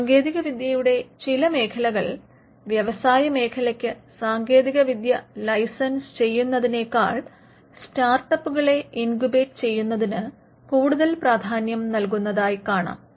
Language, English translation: Malayalam, So, in certain fields of technology incubating startups could be much preferred way than licensing the technology to the industry